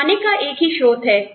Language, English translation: Hindi, Single source of income